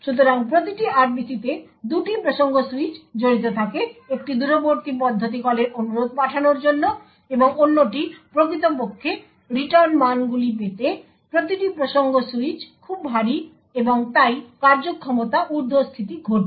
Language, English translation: Bengali, So every RPC involves two context switches one to send the request for the remote procedure call and the other one to actually obtain the return values, each context switch is very heavy and therefore would result in performance overheads